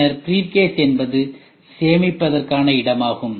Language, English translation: Tamil, Then briefcase is a place where it is for storage